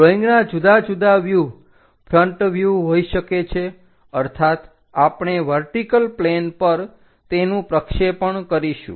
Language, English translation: Gujarati, The different views of a drawing can be the front view that means, we are going to project it on to the vertical plane